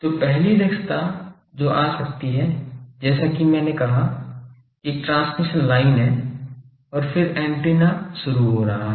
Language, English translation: Hindi, That the first efficiency that can come is as I said that there is a transmission line and then the antenna is getting started